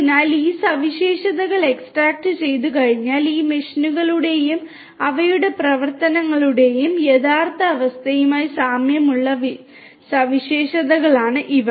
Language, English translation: Malayalam, So, once these features are extracted these are the features which will have close resemblance to the actual state of these machines and their operations